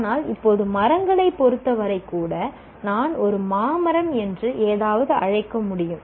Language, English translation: Tamil, But now even with respect to trees, I can call something as a mango tree